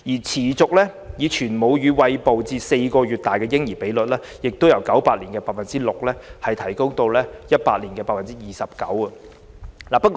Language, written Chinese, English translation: Cantonese, 持續以全母乳餵哺至4個月大的嬰兒比率，亦由1998年的 6% 提升至2018年的 29%。, The percentage of babies being breastfed up to four months old has also increased from 6 % in 1998 to 29 % in 2018